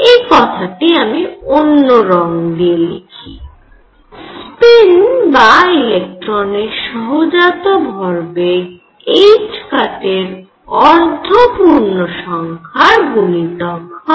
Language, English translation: Bengali, Let me write this in different colour spin, or intrinsic momentum of electron could be half integer multiple of h cross